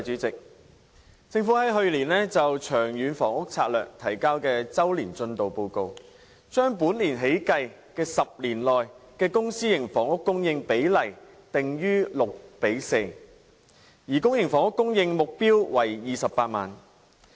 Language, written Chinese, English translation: Cantonese, 政府於去年就《長遠房屋策略》提交的周年進度報告，把本年起計的10年期內公、私營房屋供應比例定於六比四，而公營房屋供應目標為28萬個。, The Annual Progress Report on the Long Term Housing Strategy submitted by the Government last year set a publicprivate split of 60col40 for the supply of housing units and a public housing supply target of 280 000 units for the 10 - year period starting from this year